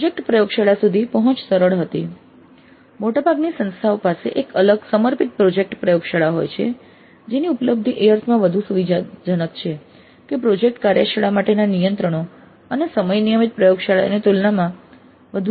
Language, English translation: Gujarati, Most of the institutes do have a separate dedicated project laboratory whose access is much more flexible in the sense that the controls, the timings for the project laboratory are more flexible compared to the regular laboratories